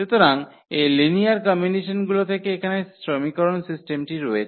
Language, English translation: Bengali, So, out of those that is system of equations here from this linear combinations